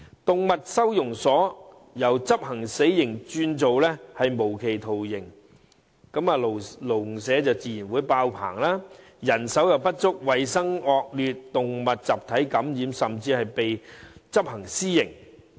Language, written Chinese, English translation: Cantonese, 動物收容所由執行"死刑"轉為"無期徒刑"，籠舍自然迫爆，導致人手不足、衞生惡劣、動物集體感染，甚至被執行私刑。, Animal adoption centres have turned from executing the animals to imprisoning them for life and naturally they are fully occupied . The centres face problems of manpower shortage poor hygienic conditions and widespread infection among animals